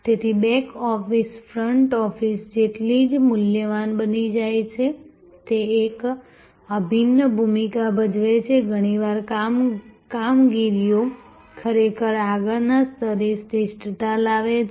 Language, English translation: Gujarati, So, back office becomes as valued as the front office, it plays an integral role often operations actually drive the excellence at the front level